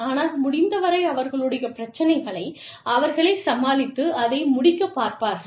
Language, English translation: Tamil, But, as far as possible, just deal with your problems, and be done with it